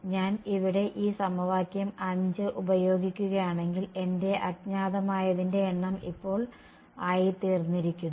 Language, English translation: Malayalam, If I am going to use this equation 5 over here my number of unknowns has now become